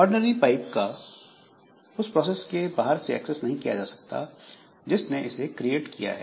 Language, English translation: Hindi, In case of ordinary pipes, so they cannot be accessed from outside the process that created it